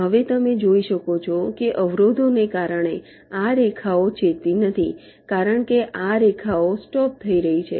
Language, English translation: Gujarati, now, as you can see, because of the obstacles, this lines are not intersecting, because this lines are getting stopped